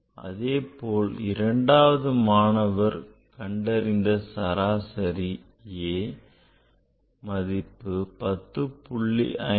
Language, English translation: Tamil, Similarly that second student, second student here this average A, that is 10